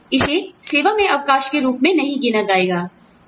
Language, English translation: Hindi, This should not be counted, as a break in service